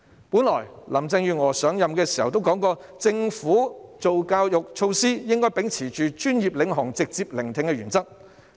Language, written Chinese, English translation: Cantonese, 本來林鄭月娥上任時曾表示，政府制訂教育措施時，應該秉持專業領航及直接聆聽的原則。, When Carrie LAM assumed office she used to say that in formulating education measures the Government should uphold the principles of being led by professionals and active listening